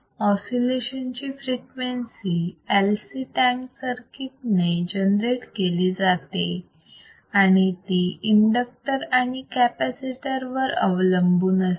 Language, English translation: Marathi, tThe frequency of oscillation generated by LC tank circuit is the frequency generator by LC will depend on what